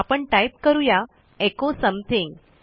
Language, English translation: Marathi, We type echo something